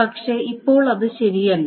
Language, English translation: Malayalam, Now it is not correct